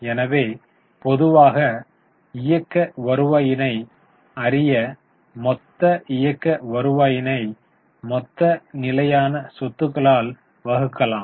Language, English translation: Tamil, So, normally we will go for operating revenue, total operating revenue and divide it by total fixed assets